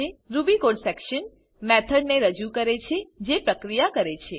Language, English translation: Gujarati, ruby code section represents the body of the method that performs the processing